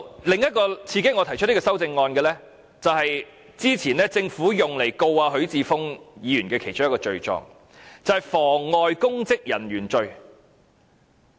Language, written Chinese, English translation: Cantonese, 另一個刺激我提出這項修正案的原因，是之前政府用以控告許智峯議員的其中一個罪狀，就是妨礙公職人員罪。, Another reason that prompted me to propose this amendment is one of the charges the Government initiated against Mr HUI Chi - fung some time ago and that is obstructing public officers in the execution of duties